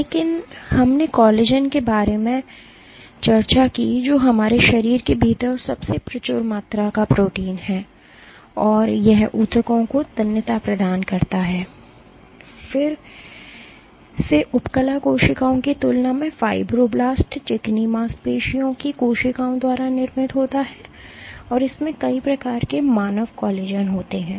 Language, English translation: Hindi, But we discussed about collagen which is the most abundant protein within our body and it provides tensile strength to the tissues, it is again produced by fibroblasts smooth muscle cells than epithelial cells and there are multiple types of human collagen ok